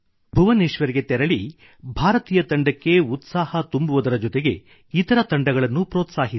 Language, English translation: Kannada, Go to Bhubaneshwar and cheer up the Indian team and also encourage each team there